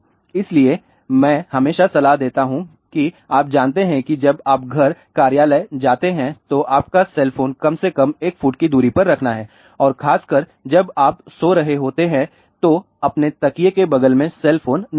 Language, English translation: Hindi, So, I will always recommend that you know when you go to home your office keep the cell phone away from you at at least 1 foot distance and especially when you are sleeping do not keep cell phone next to your pillow